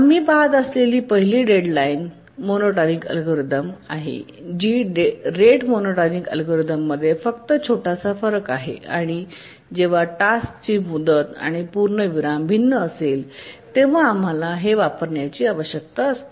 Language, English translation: Marathi, The first one we look at is the deadline monotonic algorithm, just a small variation of the rate monotonic algorithm and this we need to use when the task deadline and periods are different